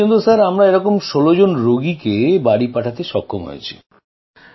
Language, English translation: Bengali, So far we have managed to send 16 such patients home